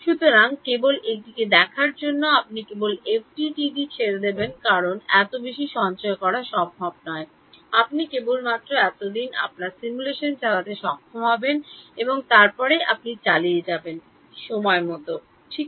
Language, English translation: Bengali, So, just looking at this you would just give up on FDTD because it is not possible to store so much, you will only be able to run your simulation for so much time and then you will run out of time right